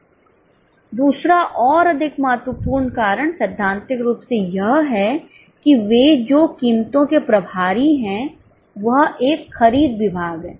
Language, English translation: Hindi, The second and more important cause is theoretically those which are in charge of prices, this is a purchase department